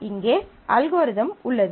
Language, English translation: Tamil, So, here is the algorithm